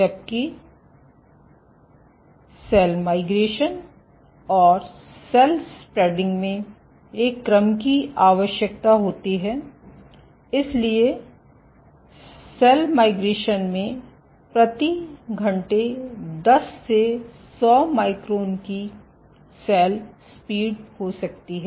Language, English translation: Hindi, While cell migration and cell spreading requires the order of so cells migration might have a cell speed of ten to hundred microns per hour